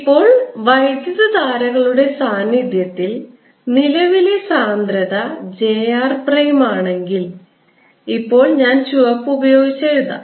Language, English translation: Malayalam, now, in presence of currents, if there is a current density, j, now let me write with red j r prime